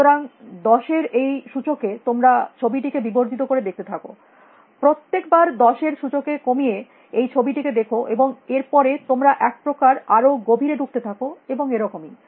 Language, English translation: Bengali, So, in these powers of ten, you keep magnifying the image all reducing the image by powers of ten every time and then you sort of keep diving in deeper and so on and so forth